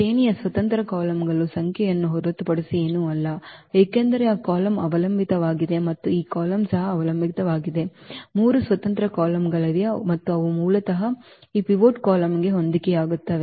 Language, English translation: Kannada, The rank is nothing but the number of independent columns in because this column is dependent and this column also dependent, there are 3 independent columns and they basically correspond to this pivot column